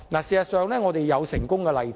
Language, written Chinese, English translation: Cantonese, 事實上，這是有成功的例子。, In fact we have a successful example